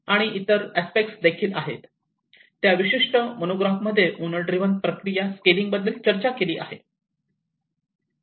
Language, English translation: Marathi, And also there are other aspects where that particular monograph discussed about the scaling up the owner driven process in various addition